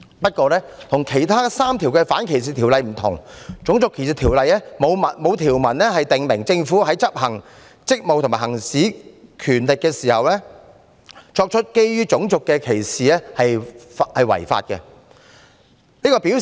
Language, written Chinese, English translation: Cantonese, 不過，跟其他3項反歧視條例不同的是，《種族歧視條例》沒有條文訂明，政府執行職務和行使權力時，作出基於種族的歧視是違法的。, However the difference is that RDO has not provided that it is unlawful for the Government to discriminate against a person on the ground of race in the performance of its functions or the exercise of its powers